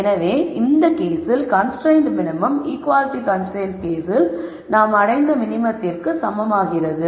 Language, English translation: Tamil, So, this case the constrained minimum becomes the same as the minimum that we achieved with the equality constraint case